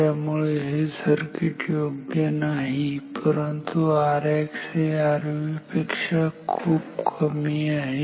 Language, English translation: Marathi, So, this circuit is not good, but R X is much less than R V